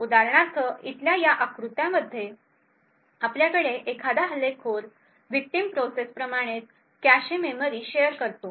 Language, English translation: Marathi, For example, in this figure over here we would have an attacker sharing the same cache memory as a victim process